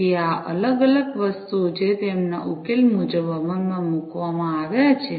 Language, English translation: Gujarati, So, these are the different things, that are implemented as per their solution